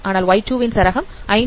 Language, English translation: Tamil, 2 whereas range of y 2 is 5